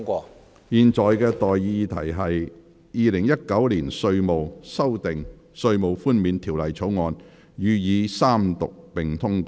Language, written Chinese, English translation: Cantonese, 我現在向各位提出的待議議題是：《2019年稅務條例草案》予以三讀並通過。, I now propose the question to you and that is That the Inland Revenue Amendment Bill 2019 be read the Third time and do pass